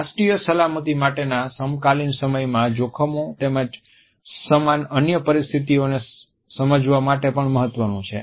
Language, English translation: Gujarati, They are also significant for understanding contemporary threats to national security as well as in similar other situation